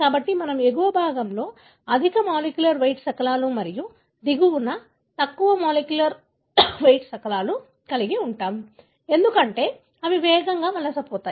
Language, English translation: Telugu, So, we are going to have high molecular weight fragments on the top and low molecular weight fragments on the bottom, because they migrate faster